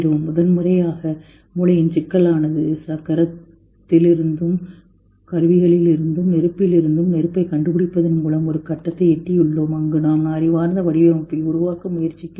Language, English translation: Tamil, First time the complexity of the brain has gone to extend that from the wheel and from the tools and from fire discovering fire we have reached a point where we are trying to create intelligent design